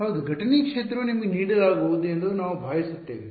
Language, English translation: Kannada, Yeah incident field is going to be given to you we will assume that